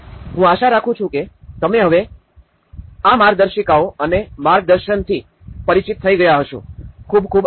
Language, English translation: Gujarati, I hope you are familiar with these manuals now and the guidance, thank you very much